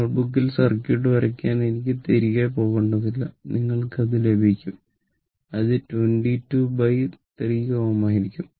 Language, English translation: Malayalam, I need not go back to the circuit you draw the circuit on your note book and just you can you will get it it will be 22 upon 3 ohm